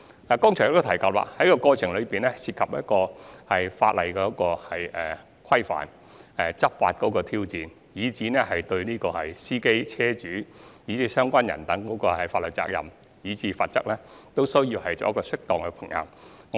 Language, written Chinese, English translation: Cantonese, 我剛才亦已指出，在籌劃的過程中，會涉及法例的規範及執法時或須面對的挑戰，而我們有需要就司機、車主、相關各方的法律責任和罰則作出適當的平衡。, I have also mentioned just now that regulation by law and challenges possibly encountered during enforcement are involved throughout the course and we have to strike a proper balance between the legal responsibilities of and penalties against drivers car owners and all parties concerned